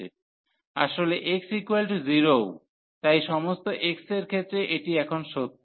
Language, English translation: Bengali, In fact, x is equal to 0 also, so for all x this is this is true now